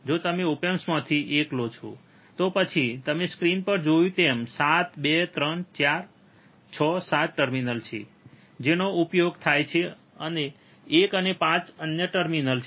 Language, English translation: Gujarati, If you take a single of op amp, then as you seen see on the screen the there are 7 terminals 2, 3, 4, 6, 7 which are which are used and 1 and 5 are other terminals